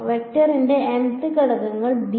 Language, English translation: Malayalam, The mth elements of the vector b